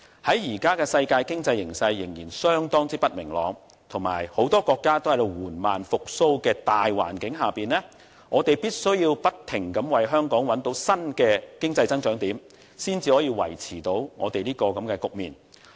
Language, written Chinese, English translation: Cantonese, 在目前世界經濟形勢仍然相當不明朗，以及很多國家均在緩慢復蘇的大環境下，我們必須不停地為香港找到新的經濟增長點，才能夠支持和配合。, Given the uncertain prospects of the global economy and the fact that the economy of many countries are recovering only very slowly we should keep on identifying new points of economic growth for Hong Kong in order to support and complement our economic growth . Hong Kongs financial industry is one of the traditional industries with competitive edge